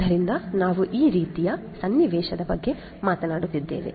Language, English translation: Kannada, So, we are talking about this kind of scenario